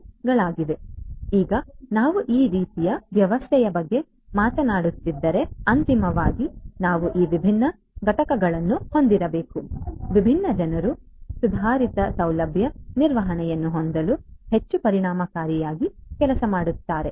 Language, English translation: Kannada, So, now, if we are talking about this kind of system ultimately we need to have these different units, these different actors, work much more efficiently in order to have improved facility management